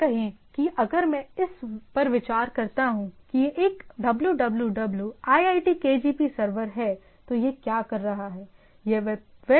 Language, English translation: Hindi, So, say if I consider this is a www iitkgp server then what it is doing